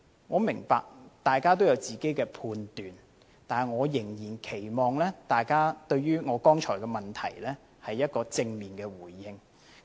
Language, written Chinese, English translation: Cantonese, 我明白大家都有自己的判斷，但仍然期望大家對於我剛才的問題有正面的回應。, I understand that we all have our own judgment but I still hope to see responses to the question I just asked